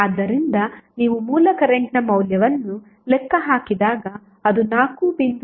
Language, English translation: Kannada, So, when you calculate the value of source current it will become 4